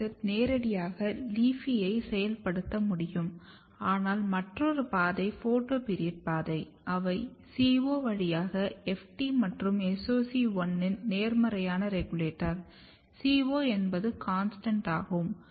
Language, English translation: Tamil, And another important thing if you look gibberellic acid can activate LEAFY directly, but other pathway if you look the photoperiodic pathway they are activating they are positive regulator of FT and SOC1 through CO; CO is CONSTANT